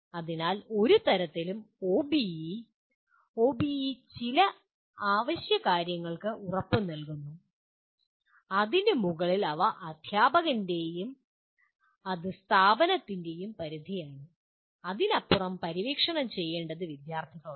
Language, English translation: Malayalam, So in no way OBE, OBE guarantees some essential things and above that it is up to the teacher, it is up to the institution, it is up to the students to explore beyond that